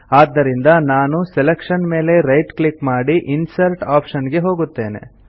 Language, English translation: Kannada, So, I shall right click on the selection and choose Insert option